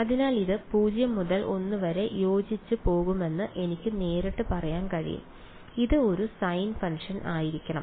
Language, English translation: Malayalam, So, I can straight away say that this is going to fit within 0 to l it should be a sine function right